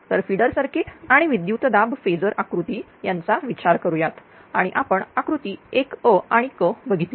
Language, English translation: Marathi, So, consider the feeder circuit and voltage feeder diagram and so, this is this this we have seen figure 1 a and c right